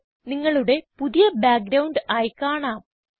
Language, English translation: Malayalam, It will appear as your new background